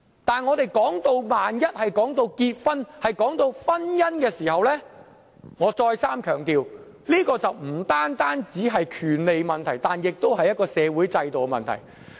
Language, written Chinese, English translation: Cantonese, 不過，一旦談到婚姻，我再三強調，這便不單是權利問題，亦是一個社會制度的問題。, Nonetheless when it comes to marriage I stress once again that it is not merely a matter of rights but also a matter affecting the social system